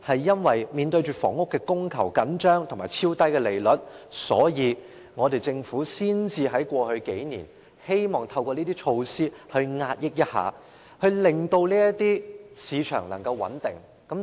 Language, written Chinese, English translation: Cantonese, 由於房屋供求緊張及超低利率，政府才會在過去數年希望透過這些措施遏抑樓市，令樓市能夠穩定。, Owing to the tight supply of housing and the extremely low interest rates the Government introduced these measures in the past few years to suppress and stabilize the property market